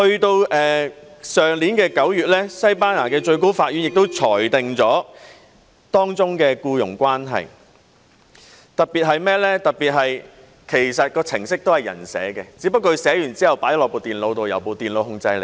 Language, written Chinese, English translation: Cantonese, 到了去年9月，西班牙的最高法院亦裁定了當中的僱傭關係，特別是程式其實是由人編寫的，只不過是編寫之後放進電腦內，由電腦控制。, In September last year the Supreme Court of Spain likewise handed down a verdict on the employment relationship involved . One particular point to note was that the mobile application was actually written by programmers only that it was installed in the computer and came under computer control afterwards